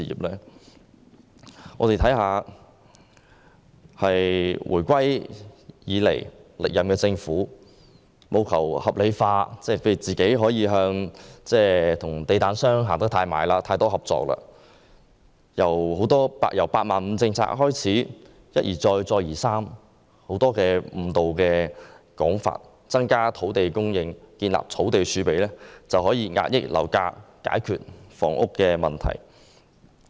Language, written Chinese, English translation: Cantonese, 自回歸以來，歷任政府務求合理化自己與地產商的親近和合作，從"八萬五"政策開始便一而再、再而三地提出很多誤導的說法，例如說增加土地供應和建立土地儲備便可以遏抑樓價，解決房屋問題。, After the reunification the Government of various terms has time and again misled the public with various pretexts in order to justify its close relationship and cooperation with property developers . The first pretext was the policy of building 85 000 flats and also the claim that by increasing land supply and setting up a land reserve property prices can be suppressed and the housing problem resolved